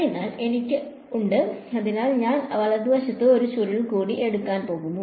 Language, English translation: Malayalam, So, I have so I am going to take a curl on the right hand side also alright